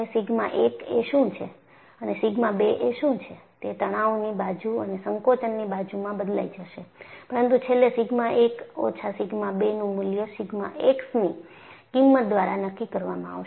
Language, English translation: Gujarati, What is sigma 1 and what is sigma 2 will change in the tension side and compression side, but eventually, the value of sigma 1 minus sigma 2 will be dictated by the value of sigma x